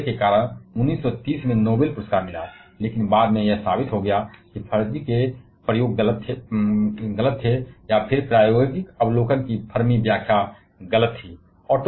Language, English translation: Hindi, His claim led to led to the Noble prize in 1930, but later on it was proved that Fermi's experiment were wrong or rather Fermi interpretation of experimental observation was wrong